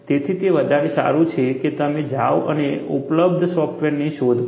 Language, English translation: Gujarati, So, it is better, that you go and look for softwares that are available